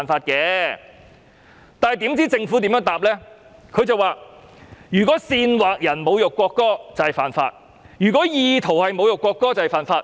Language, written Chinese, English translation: Cantonese, 然而，政府的答覆則是："如果煽惑別人侮辱國歌即屬犯法，而意圖侮辱國歌也是犯法。, However the Government replied that it is an offence to incite others to insult the national anthem and likewise it is an offence to insult the national anthem with intent